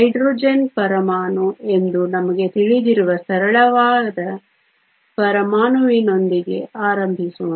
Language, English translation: Kannada, Let us start with a simplest atom that we know that is the Hydrogen atom